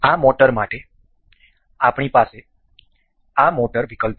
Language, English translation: Gujarati, For this, motor, we have this motor option